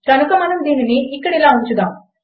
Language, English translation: Telugu, So lets just put this up here